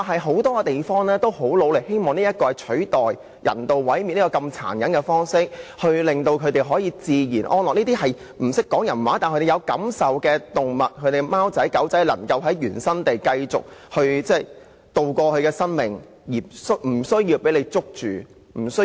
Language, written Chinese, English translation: Cantonese, 很多地方均很努力地推行這計劃，希望能取代人道毀滅這麼殘忍的方式，令動物能自然安樂地生活，讓這些不懂人語卻有感受的動物，例如貓狗能夠在原生地過活，而不會被署方捕捉殺死。, Actually many other places have been making great efforts to implement this programme in the hope that it can replace the very cruel method of euthanasia and animals can live peacefully to the natural ends of their lives . It is hoped that all those animals which cannot speak any human languages and which however still have feelings such as cats and dogs can all live where they are living rather than being captured and killed by AFCD